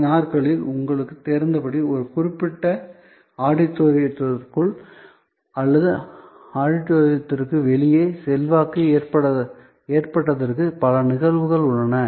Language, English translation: Tamil, These days as you know, there are many instances of things that have happened inside an auditorium or influence outside the auditorium a certain situation